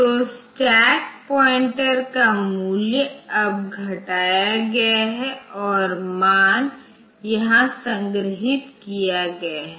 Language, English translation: Hindi, So, the stack pointer value now, is decremented and the values are stored here